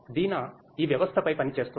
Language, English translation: Telugu, Deena is a working on this system